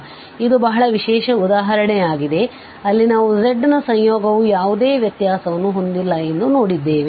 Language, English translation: Kannada, So, this is a very special example, which where we have seen that this z is the conjugate of z is not differentiable at any point in the given domain